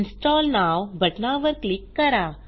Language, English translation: Marathi, Click on the Install Now button